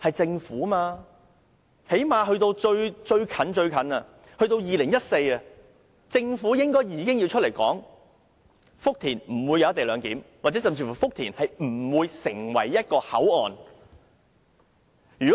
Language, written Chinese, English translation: Cantonese, 政府最低限度應在2014年告訴大家福田不會設立"一地兩檢"，或福田不會發展成為一個口岸。, It should at least have told us in 2014 that a co - location arrangement will be put in place in Futian or a crossing will not be developed there